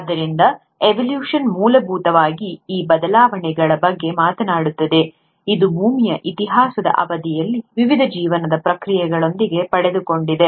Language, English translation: Kannada, So, evolution essentially talks about these changes which have been acquired by various life processes over the course of earth’s history